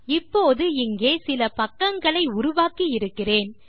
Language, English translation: Tamil, Now I have created a few pages here